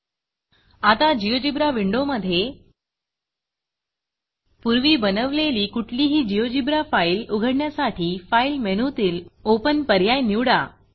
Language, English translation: Marathi, Open any GeoGebra file that you have already created by selecting menu option File and Open